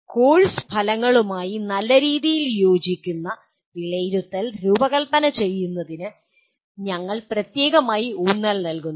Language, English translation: Malayalam, And also specifically we emphasize designing assessment that is in good alignment with the course outcomes